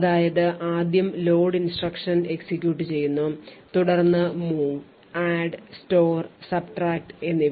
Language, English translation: Malayalam, So, firstly load instruction executes, then move, add, store and subtract